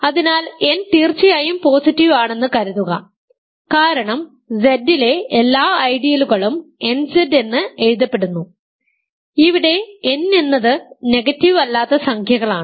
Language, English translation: Malayalam, So, assume n is positive of course, because every non negative I should say every ideal in Z is written as nZ where n is a non negative integer